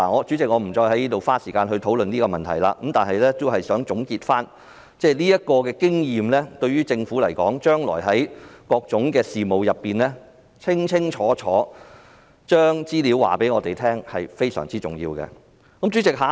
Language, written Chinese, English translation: Cantonese, 主席，我不再花時間討論這個問題，但我想總結一下，這個經驗告訴政府，處理各種事務均須清清楚楚，並向我們提供有關資料。, Chairman I will not spend any more time to discuss this issue but I would like to conclude that this experience tells the Government that it must in handling various matters give a clear account and provide us with the relevant information